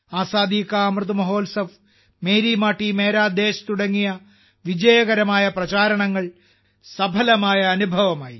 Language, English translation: Malayalam, We experienced successful campaigns such as 'Azadi Ka Amrit Mahotsav' and 'Meri Mati Mera Desh'